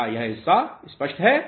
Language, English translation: Hindi, Is this part clear